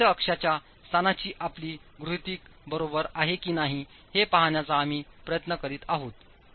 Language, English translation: Marathi, So it's an iterative procedure where you're trying to see if your assumption of the location of the neutral axis is correct